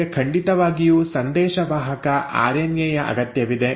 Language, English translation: Kannada, Well you definitely need a messenger RNA